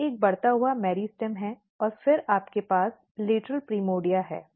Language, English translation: Hindi, So, what happens that if you take this is a growing meristem and then you have a lateral primordia